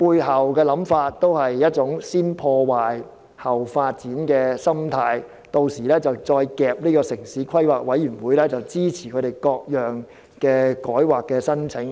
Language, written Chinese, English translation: Cantonese, 他的想法其實建基於一種"先破壞，後發展"的心態，而他們屆時便可強迫城市規劃委員會批准他們各項改劃申請。, His idea is actually based on the approach of to destroy first and build later . Then they would go through the statutory procedures to force the approval for rezonings from the Town Planning Board